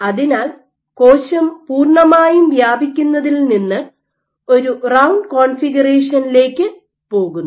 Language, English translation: Malayalam, So, cell goes from a completely spreads configuration to a round configuration